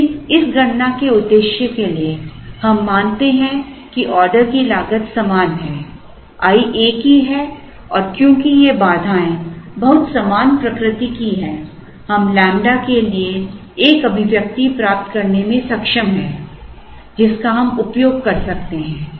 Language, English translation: Hindi, But, for the purpose of this computation we assume that order costs are the same, i is the same and because these constraints are of very similar nature we are able to get an expression for lambda which we can use